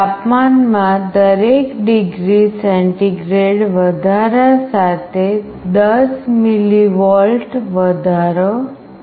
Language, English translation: Gujarati, There is a 10 mV increase for every degree centigrade rise in temperature